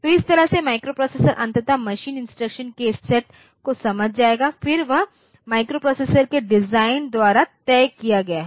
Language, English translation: Hindi, So, that way microprocessor will finally, understand the set of machine instructions, then that is told that is fixed by the designer of the microprocessor